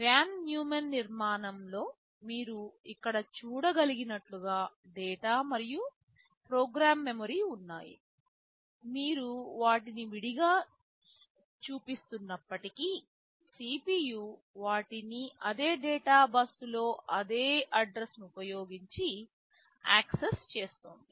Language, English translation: Telugu, In a Von Neumann architecture as you can see here are the data and program memory; although you are showing them as separate, but CPU is accessing them over the same data bus using the same address